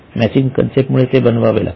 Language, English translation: Marathi, It was because of the matching concept